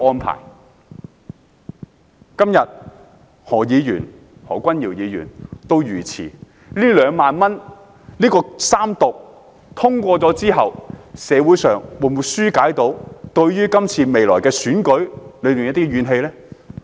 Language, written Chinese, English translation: Cantonese, 何君堯議員今天遇刺一事後，《條例草案》三讀通過能否紓解社會對即將來臨的選舉的怨氣呢？, Following the incident of Mr Junius HO being stabbed today can the passage of the Third Reading of the Bill alleviate social grievances before the coming election?